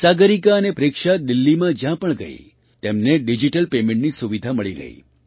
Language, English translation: Gujarati, Wherever Sagarika and Preksha went in Delhi, they got the facility of digital payment